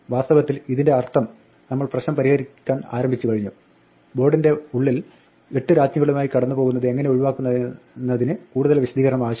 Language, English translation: Malayalam, In fact, this means therefore that the problem that we started out to solve namely; how to avoid passing the board around with its inside 8 queens actually requires no further explanation